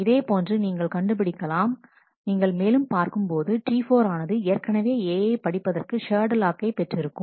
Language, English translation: Tamil, Similarly you will find if you look further T 4 has already got a shared lock to read A